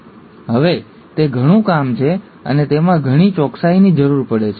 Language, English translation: Gujarati, Now that is a lot of job and it requires a lot of precision